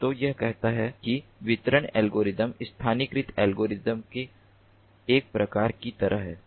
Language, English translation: Hindi, so it says sort of like a variant of the distributed algorithm, localized algorithm